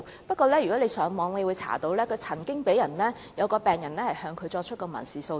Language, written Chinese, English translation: Cantonese, 不過，如果大家上網翻查紀錄，便可以得知曾經有一名病人向他作出民事訴訟。, But if we search on the Internet we can find a patient took civil procedures against him